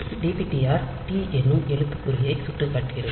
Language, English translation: Tamil, So, dptr was pointing to this character t